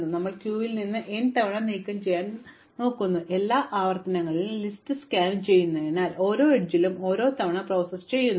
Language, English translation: Malayalam, So, we are going to remove from the queue n times and now because we are scanning the list across all the n iterations we are going to process each edge once